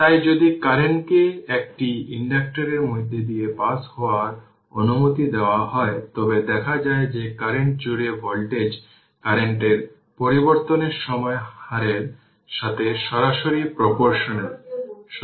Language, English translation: Bengali, So if the current is allowed to pass through an inductor it is found that the voltage across the inductor is directly proportional to the time rate of change of current